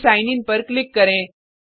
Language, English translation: Hindi, Then click on Sign In